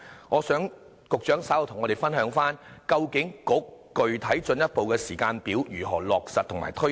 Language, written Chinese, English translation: Cantonese, 我想局長稍後與我們分享，究竟具體進一步的時間表如何落實和推展。, I hope the Secretary can share with us the concrete timetable for finalizing and implementing these revitalization initiatives